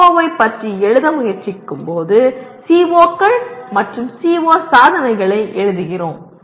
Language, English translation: Tamil, We will look at that more when we are trying to write about CO, writing COs and CO attainments